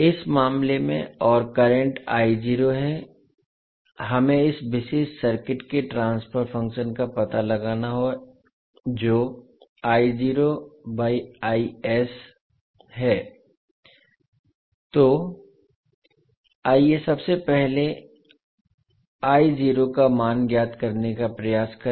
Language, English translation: Hindi, In this case and the current is I naught now we have to find out the transfer function of this particular circuit that is I naught by Is, so let us first let us try to find out the value of I naught